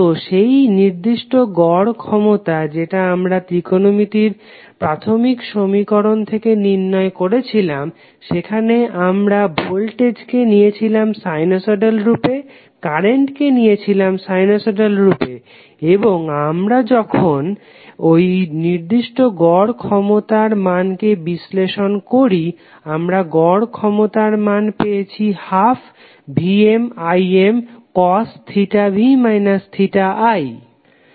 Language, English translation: Bengali, So that particular average power we calculated with the help of the fundamentals of the trigonometric equations that is the voltage we took in the sinusoidal form, current we took in the form of sinusoidal form and when we analyzed that particular value of average power we got value of average power as 1 by 2 VmIm cos of theta v minus theta i